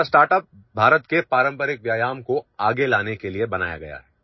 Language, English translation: Hindi, Our startup has been created to bring forward the traditional exercises of India